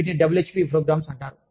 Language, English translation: Telugu, They are called, WHP Programs